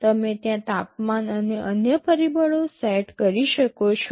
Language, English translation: Gujarati, You can set the temperatures and other factors there